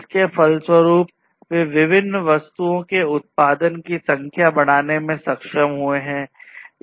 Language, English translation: Hindi, And consequently, they are able to increase the number of production of the number of objects and so on